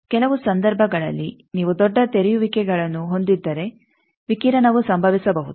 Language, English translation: Kannada, Also in some cases, if you have large openings radiation may takes place